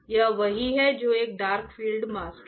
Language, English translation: Hindi, This is what it is a dark field mask right